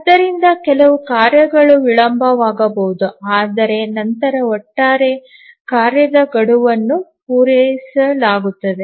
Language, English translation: Kannada, So, some of the tasks may get delayed, but then overall the task deadline will be met